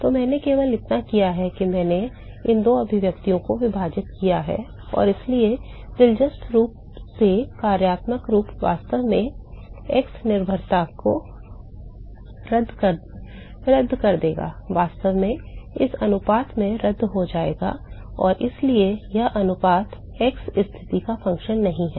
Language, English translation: Hindi, So, all I have done is I have just divided these 2 expressions and so, interestingly the functional form will actually cancel out the x dependence will actually cancel out in this ratio and therefore, this ratio is not a function of the x position